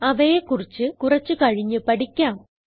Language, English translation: Malayalam, We will learn about them in a little while